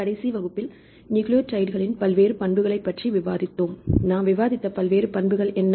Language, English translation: Tamil, Last class we discussed about various properties from the nucleotides right what various properties we discussed in the last class